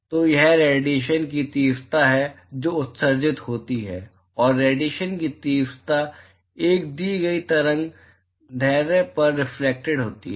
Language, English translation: Hindi, So, it is the, intensity of radiation that is emitted plus the intensity of radiation that is reflected at a given wavelength